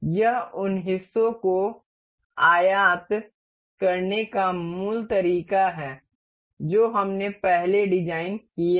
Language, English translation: Hindi, This is the basic way to import these parts that we have designed earlier